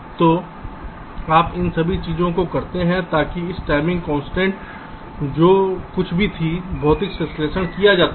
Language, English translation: Hindi, so you do all these things so that these timing constraints, whatever was there was made, physical synthesis is done